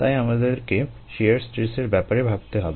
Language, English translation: Bengali, so we need to worry about the shear stress ah